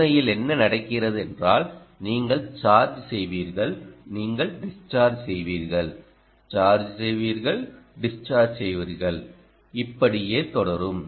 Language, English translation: Tamil, so what actually happens is: you will charge, you will discharge, you will charge, you will discharge, you will charge, and so on